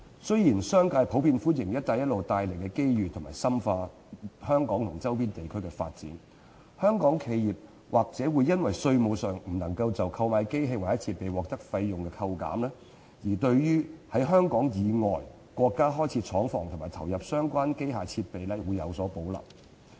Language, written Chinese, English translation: Cantonese, 雖然商界普遍歡迎"一帶一路"帶來的機遇，以深化於香港周邊地區的發展，但香港企業或因稅務上不能就購買機器設備獲得費用抵扣，而對於在香港以外國家開設廠房及投入相關機器設備有所保留。, The commercial sector generally welcome the opportunities arising from the Belt and Road Initiative to deepen their development in the neighbouring regions of Hong Kong but as Hong Kong enterprises are not allowed taxation deduction in respect of costs arising from the purchase of machinery and equipment they probably have reservations about setting up plants and investing in machinery and equipment in countries outside Hong Kong